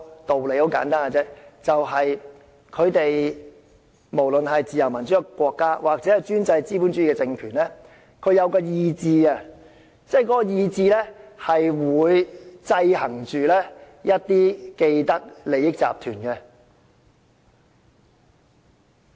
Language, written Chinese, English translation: Cantonese, 道理很簡單，就是不論是自由民主的國家抑或專制資本主義的政權，也是有意志的，而意志就會制衡着一些既得利益集團。, The reason is simple free and democratic countries and autocratic capitalist regimes alike have a will and this will checks and balances some groups with vested interests